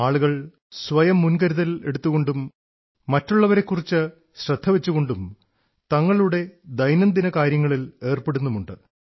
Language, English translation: Malayalam, People are getting along with their day to day tasks, while taking care of themselves and others as well